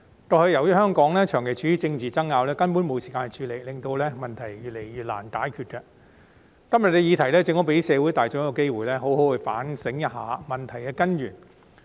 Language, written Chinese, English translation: Cantonese, 過去由於香港長期處於政治爭拗，根本沒有時間處理這問題，令問題越來越難解決，今天的議題正好給社會大眾一個機會，好好反省一下問題的根源。, Previously embroiled in the persisting political wrangling Hong Kong had no time to address these problems at all making them increasingly difficult to tackle . Todays motion has given the general public a very opportunity to reflect on the root causes of the problems properly